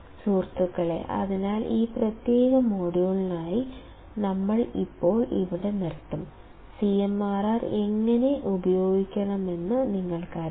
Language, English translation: Malayalam, Guys, so for this particular module; we will stop here now, you now how to use the CMRR